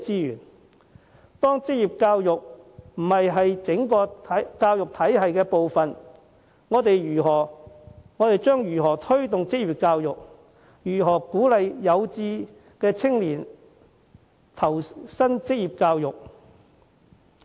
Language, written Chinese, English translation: Cantonese, 如職業教育並非整個教育體系的一部分，我們又如何作出推動，對有志投身職業教育的青年予以鼓勵？, If vocational education is not regarded as part of the education system how can we promote it? . How can we encourage those young people to receive vocational education?